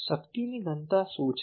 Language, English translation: Gujarati, What is the power density